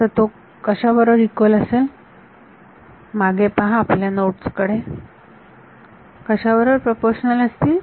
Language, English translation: Marathi, So, what was that equal to just look back at your nodes they should be proportional to